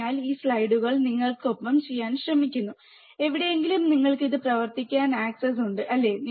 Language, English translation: Malayalam, So, again this slides are with you you try to do at wherever place you have the access to work on this, right